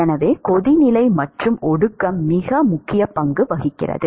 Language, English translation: Tamil, So, therefore, boiling and condensation plays a very important role